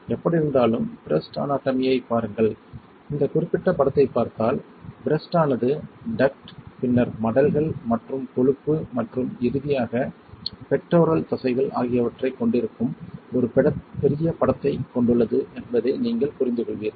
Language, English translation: Tamil, Anyway look at the breast anatomy, if you see this particular image then what you will understand that the breast consist of a bigger picture consists of duct right, then consist of lobes and consist of fat and finally pectoral muscles right